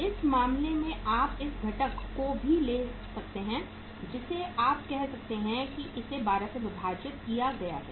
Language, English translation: Hindi, Similarly, you can take this as divide by 12